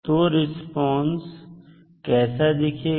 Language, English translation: Hindi, So, how the response would look like